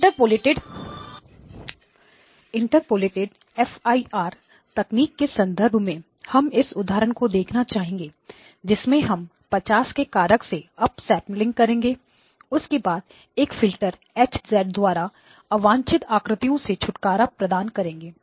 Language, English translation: Hindi, The example that we would like to look at in the context of the Interpolated FIR technique is to have is to do an up sampling by a factor of 50 followed by a filter that would get rid of the images H of z